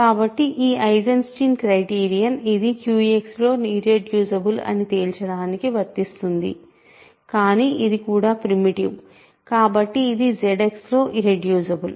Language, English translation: Telugu, So, this Eisenstein criterion applies to this to conclude this is irreducible in Q X, but this is also primitive, so this is irreducible is Z X